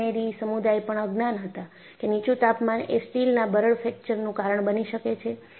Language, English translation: Gujarati, The engineering community was clueless that low temperature can cause brittle fracture of steel